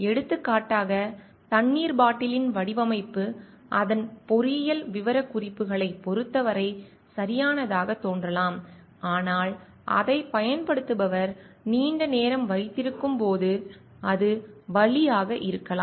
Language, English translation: Tamil, For example, the design of water bottle may seem to be perfect with respect to its engineering specifications, so but might be a pain when the holder it is for long by the person using it